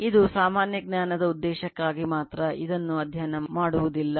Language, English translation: Kannada, This is just for purpose of general knowledge will not study that